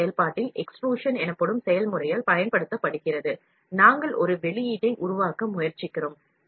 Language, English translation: Tamil, This wire is used in FDM process by the process called extrusion, we try to make a output